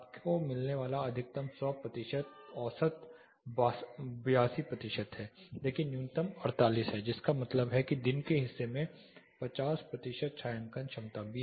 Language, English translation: Hindi, The maximum you get is 100 percent average is 82 percent, but minimum is 48 which means 50 percent shading efficiencies also there in part of the day